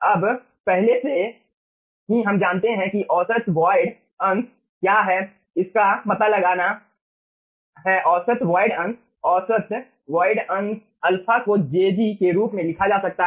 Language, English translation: Hindi, okay, now, already we know that if we have to find out that what is the average void fraction, average void fraction, alpha can be written as jg by ug